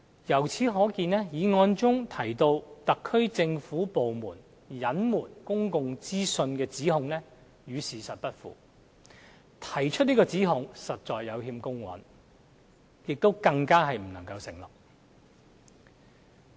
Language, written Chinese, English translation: Cantonese, 由此可見，議案中提到特區政府部門隱瞞公共資訊的指控與事實不符，提出這個指控實在有欠公允，亦不能成立。, One can see that the allegation made in the motion about the SAR Government persistently withholding public information is far from the fact . It is unfair to make this allegation which is unfounded